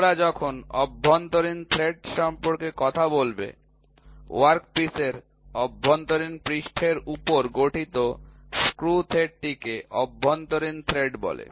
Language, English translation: Bengali, When you talk about internal threads, the screw thread formed on the internal surface of the work piece is called as internal thread